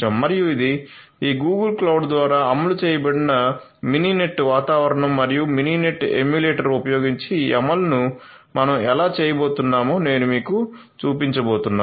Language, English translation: Telugu, And this is the Mininet environment which is executed over this Google cloud and I am going to show you how we are going to have this implementation done using Mininet emulator